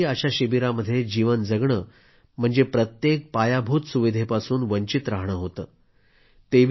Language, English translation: Marathi, Life in camps meant that they were deprived of all basic amenities